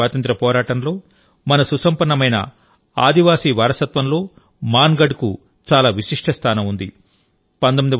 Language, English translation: Telugu, Mangarh has had a very special place in India's freedom struggle and our rich tribal heritage